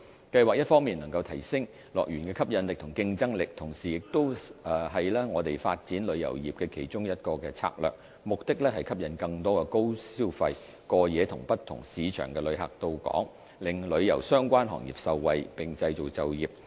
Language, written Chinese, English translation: Cantonese, 計劃一方面能提升樂園的吸引力和競爭力，同時亦是我們發展旅遊業的其中一個策略，目的是吸引更多高消費、過夜及不同市場的旅客到港，令旅遊相關行業受惠，並創造就業。, Apart from enhancing HKDLs attractiveness and competitiveness the plan is also an integral part of our tourism development strategy which aims to attract more high spending overnight visitors from different source markets to Hong Kong and thereby benefiting the tourism - related industries and creating job opportunities